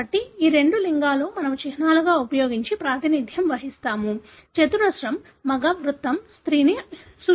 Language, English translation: Telugu, So, these are the two sex that we represent using symbols; square male, a circle represents a female